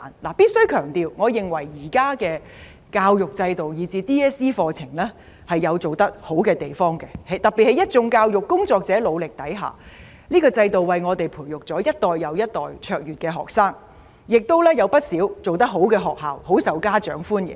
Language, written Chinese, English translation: Cantonese, 我必須強調，我認為現在的教育制度，以至 DSE 課程，有做得好的地方，特別在一眾教育工作者努力下，這個制度為我們培育一代又一代卓越學生，亦有不少做得好的學校，很受家長歡迎。, I must stress that our current education system and the curricula of DSE are commendable in some ways . In particular as a result of the efforts made by our educators this system has nurtured generations and generations of outstanding students and many reputable schools are admired by parents